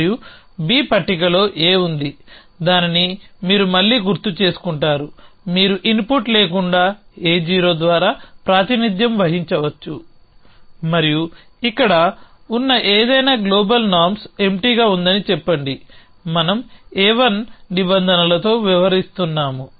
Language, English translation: Telugu, And B is on the table A is on the table which again you will recall you can represent by A 0 with no input and anything that is here which is let us say norms empty global be we a having a dealing with A 1 norms